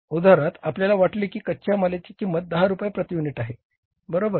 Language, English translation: Marathi, For example now we thought that the price of the raw material should be say 10 rupees per unit